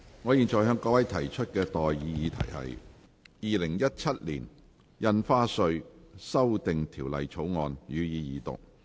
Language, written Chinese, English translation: Cantonese, 我現在向各位提出的待議議題是：《2017年印花稅條例草案》，予以二讀。, I now propose the question to you and that is That the Stamp Duty Amendment Bill 2017 be read the Second time